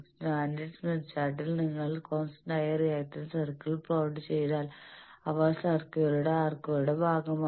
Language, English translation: Malayalam, On the standard smith chart if you plot the constant reactance circles they will be part of the circles arcs